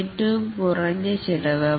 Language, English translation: Malayalam, The cost will be minimal